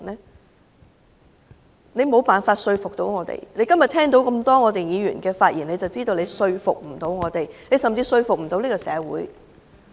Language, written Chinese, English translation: Cantonese, 政府沒有辦法說服我們，今天只要聽到這麼多議員的發言便可以知道，政府無法說服我們，甚至無法說服這個社會。, The Government cannot convince us . We know that the Government cannot convince us after listening to the speeches given by so many Members and it cannot even convince society